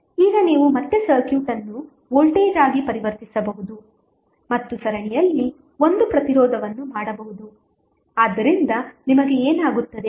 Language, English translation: Kannada, Now, you know you can again transform the circuit back into voltage and one resistance in series so what will happen